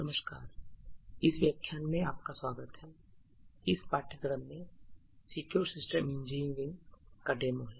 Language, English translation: Hindi, and welcome to this lecture so this is the demo in the course for in secure systems engineering